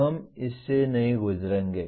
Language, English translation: Hindi, We will not go through this